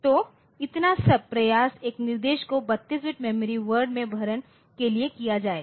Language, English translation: Hindi, So, in one instruction so, if entire effort is made to feed the instruction in a in one memory word 32 bit word